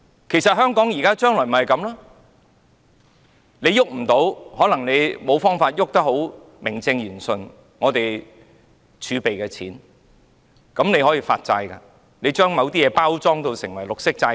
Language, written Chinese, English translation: Cantonese, 其實，香港將來就是這樣，政府無法名正言順動用儲備，所以便發債，把某些東西包裝成為綠色債券。, In fact Hong Kong will suffer the same fate in the future . Since the Government cannot find a proper excuse to draw down the fiscal reserve it resorts to the issuance of bonds and attempts to present certain items as green bonds